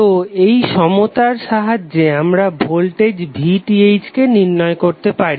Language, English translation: Bengali, So using this particular equilency you can identify the voltage of VTh how